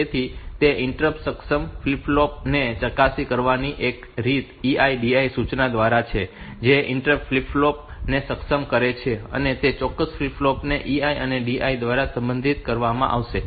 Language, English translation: Gujarati, So, one way to manipulate that interrupt enable flip flop is through the E I, D I instruction, that interrupt enable flip flop that particular flip flop will be modified by E I or D I but this individual mask for 5